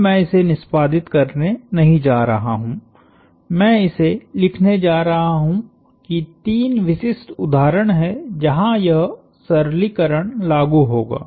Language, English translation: Hindi, Now, I am not going to derive this that I am going to write this down that there are three specific instances, where this simplification will apply